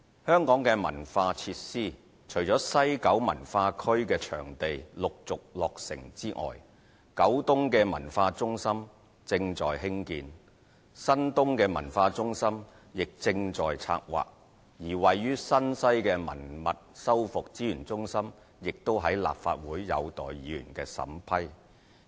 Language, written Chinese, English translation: Cantonese, 香港的文化設施，除了西九文化區的場地陸續落成外，九龍東的文化中心正在興建，新界東的文化中心亦正在策劃，位於新界西的文物修復資源中心亦在立法會有待議員的審批。, Insofar as local cultural facilities are concerned the venues in the West Kowloon Culture District will be completed one after another whereas the East Kowloon Cultural Centre is under construction and the New Territories East Cultural Centre is under planning